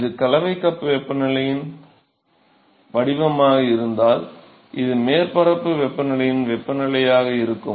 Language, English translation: Tamil, If this is the temperature profile of the mixing cup temperature, and this will be the temperature of the be the surface temperature